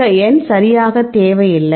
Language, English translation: Tamil, Now, this number is not necessary right